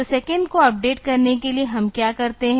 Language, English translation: Hindi, So, for updating second what we do